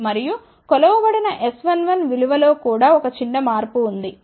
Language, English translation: Telugu, And, also there is a small shift in the measured S 1 1 value also